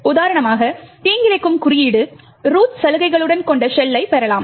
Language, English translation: Tamil, The malicious code for instance could obtain a shell which has root privileges